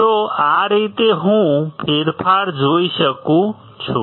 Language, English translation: Gujarati, So, this is how I can see the change